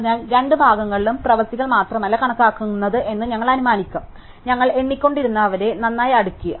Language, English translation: Malayalam, So, we will assume that not only doings count in the two halves; we sort them well we were counting